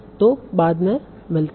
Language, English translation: Hindi, So see you then